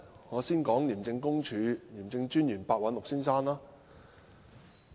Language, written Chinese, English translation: Cantonese, 我先說廉政專員白韞六先生。, Let me first talk about the ICAC Commissioner Mr Simon PEH